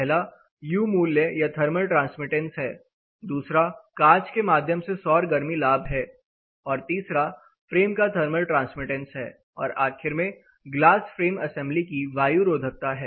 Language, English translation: Hindi, First is the U value or thermal transmittance of the glass, second is the solar heat gain through the glass, third is thermal transmittance of the frame, and the last is air tightness of the glass frame assembly